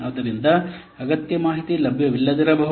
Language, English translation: Kannada, So the necessary information may not be available